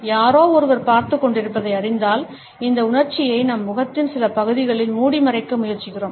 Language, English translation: Tamil, When we know that somebody is watching, we try to wrap up this emotion of too much of an enjoyment on certain portions of our face